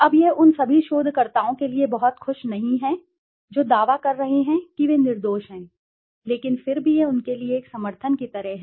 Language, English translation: Hindi, Now this is not to be very happy for all those researchers who claiming that they are innocent but still this is like a support for them